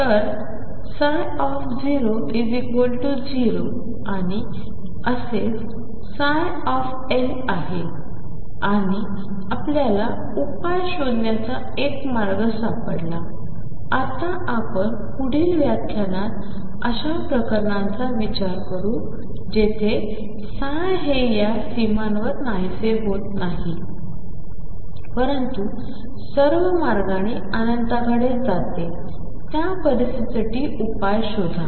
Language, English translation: Marathi, So, psi 0 is 0 and so is psi L and we found a way of finding the solution, we will now in the next lecture consider cases where psi it is not vanishes at these boundaries, but goes all the way to infinity out find solutions for those situation